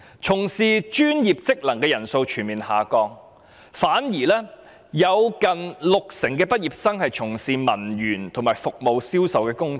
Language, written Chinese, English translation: Cantonese, 從事專業職能工作的人數全面下降，有近六成畢業生從事文員和服務銷售工作。, There was an overall decline in the number of people engaging in professional jobs with nearly 60 % of graduates taking up clerical service or sales jobs